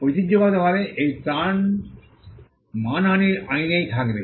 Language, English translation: Bengali, Traditionally, the relief would lie in the law of defamation